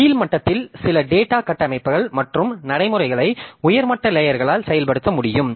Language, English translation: Tamil, So, at lower level you implement some data structures and routines that are invoked by the higher level layers